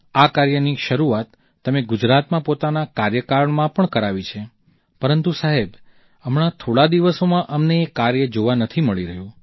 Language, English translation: Gujarati, You had started this practice while you were in office in Gujarat, Sir, but in the recent days we have not been seeing much of this